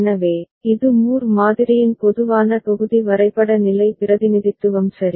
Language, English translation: Tamil, So, this is a general block diagram level representation of Moore model ok